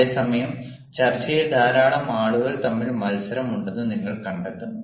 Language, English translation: Malayalam, but at the same time, you will find there is a lot of competition in debate